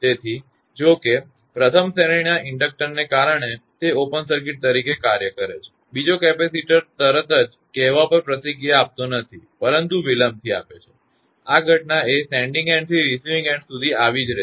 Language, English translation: Gujarati, So; however, because of the first series inductor; since it acts as an open circuit, the second capacitor does not respond immediately say but is delayed; these phenomena will be happen from the sending end to receiving end